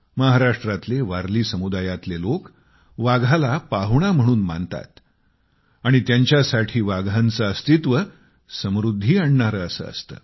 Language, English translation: Marathi, People of Warli Community in Maharashtra consider tigers as their guests and for them the presence of tigers is a good omen indicating prosperity